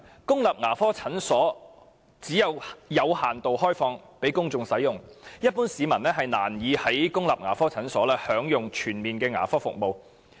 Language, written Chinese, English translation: Cantonese, 公立牙科診所只會有限度開放給公眾使用，一般市民難以在公立牙科診所享用全面的牙科服務。, When government dental clinics are only open to the public on a limited scale it is almost impossible for members of the public to enjoy comprehensive dental services in such dental clinics